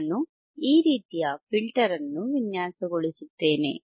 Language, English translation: Kannada, I will design a filter like this